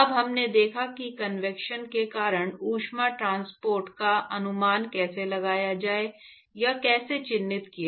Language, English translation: Hindi, Now we are going to actually go and see how to estimate or how to characterize heat transport because of convection